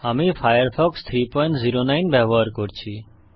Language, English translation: Bengali, I am using Firefox 3.09